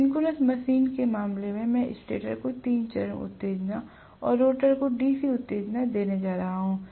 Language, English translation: Hindi, In the case of synchronous machine, I am going to give three phase excitation to the stator and DC excitation to the rotor